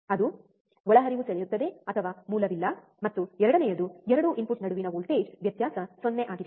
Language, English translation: Kannada, that one is the inputs draw or source no current, and second the voltage difference between 2 input is 0